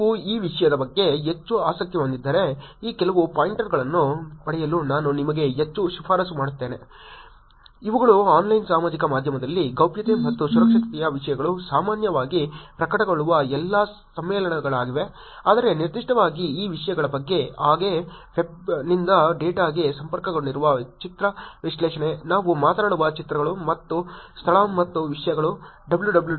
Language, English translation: Kannada, If you are interested more in this topic I actually high recommend you to get some of these pointers, which is these are all the conferences where the topics of privacy and security in Online Social Media in general also gets published, but also specifically about these topics like, image analysis connected to the data from the web, pictures which is what we talk about and location and things like that